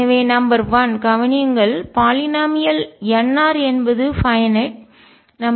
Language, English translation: Tamil, So, number one notice that the polynomial n r is finite